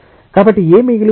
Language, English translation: Telugu, So, what is left